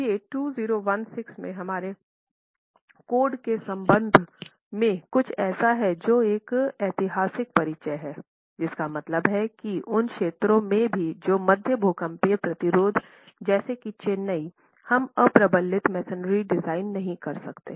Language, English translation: Hindi, This is something that is a landmark introduction as far as our code is concerned in 2016, which means in zones even of moderate seismic activity such as low to moderate seismic activity such as Chennai, we cannot design unreinforced masonry